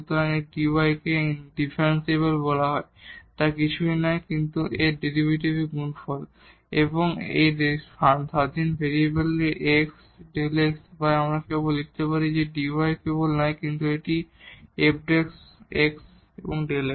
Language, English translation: Bengali, So, the dy which is called differential is nothing, but the product of its derivative and the increment delta x of this independent variable or we can write down simply that dy is nothing, but the f prime x and delta x